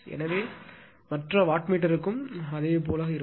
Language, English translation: Tamil, So, if you would similarly for other wattmeter we will come to that